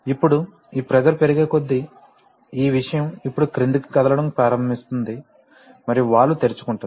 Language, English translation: Telugu, Now as this pressure increases, this thing now starts moving downward and the valve opens